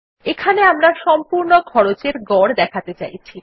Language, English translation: Bengali, Here we want to display the average of the total cost